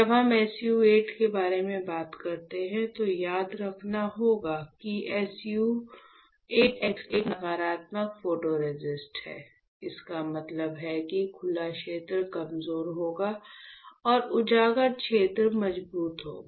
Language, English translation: Hindi, So, SU 8 x is a negative photoresist; that means, the unexposed region will be weaker and the exposed region would be stronger